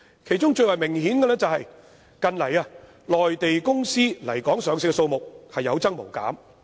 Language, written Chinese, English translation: Cantonese, 其中最為明顯的是，近來內地公司來港上市的數目有增無減。, Most obviously the number of Mainland companies listed in Hong Kong is ever increasing